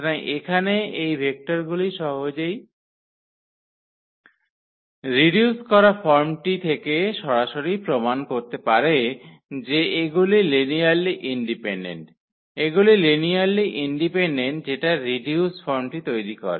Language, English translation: Bengali, So, these vectors here one can easily prove directly from the reduced form that these are linearly independent, these are linearly independent that form the reduced form one can talk about this